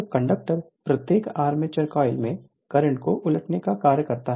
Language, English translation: Hindi, So, commutator serves to reverse the current right in each armature coil